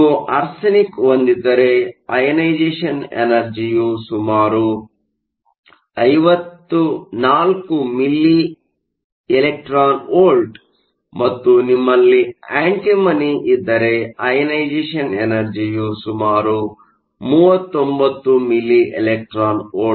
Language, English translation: Kannada, These are also very similar, if you have arsenic the ionization energy is around 54 milli e v and if you have antimony, the ionization energy e v is around 39 milli e v